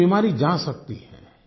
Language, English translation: Hindi, This disease can be got rid of